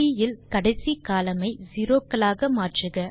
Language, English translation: Tamil, Change the last column of C to zeros